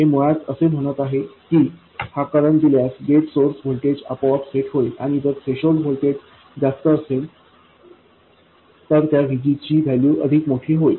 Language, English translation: Marathi, It is basically saying that given this current, the gate source voltage will get set automatically, and that VGS value will be larger if the threshold voltage is larger, it will also be larger if current factor is smaller